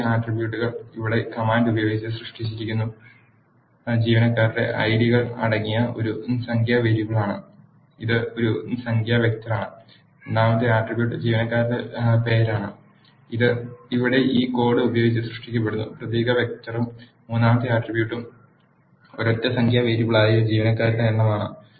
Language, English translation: Malayalam, The first attributes is a numeric variable containing the employee IDs which is created using the command here, which is a numeric vector and the second attribute is employee name which is created using this line of code here, which is the character vector and the third attribute is number of employees which is a single numeric variable